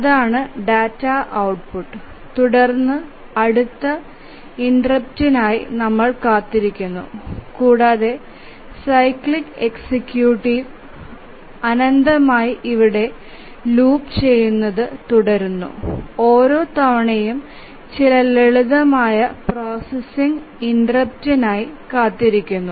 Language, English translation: Malayalam, And then wait for the next interrupt and the cyclic executive continues looping here infinitely each time waiting for the interrupt doing some simple processing